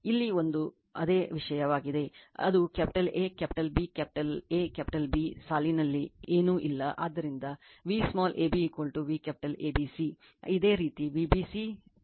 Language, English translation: Kannada, here it is same thing here it is capital A, capital B, capital A, capital B nothing is there in the line, so V small ab is equal to V capital ABC similarly for V bc angle VCL right